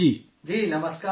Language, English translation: Urdu, Ji Namaskar Sir